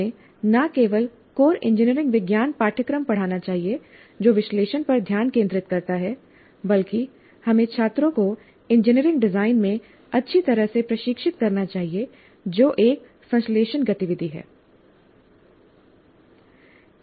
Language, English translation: Hindi, We should not only teach core engineering science courses which focus on analysis, but we should also train the students well in engineering design, which is a synthesis activity